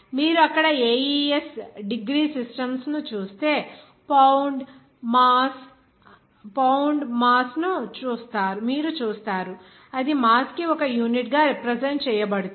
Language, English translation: Telugu, Whereas if you are considering that AES degree systems there you will see that pound it would be represented as a unit for mass